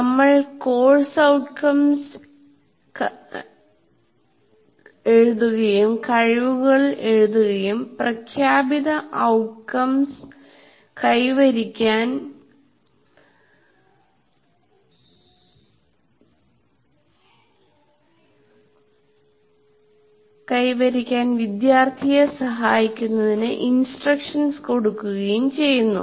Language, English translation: Malayalam, We write course outcomes and competencies and conduct instruction to facilitate the student to attain the stated outcomes